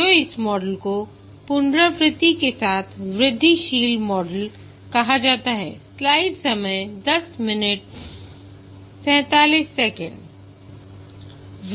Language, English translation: Hindi, So this model is called as incremental model with iteration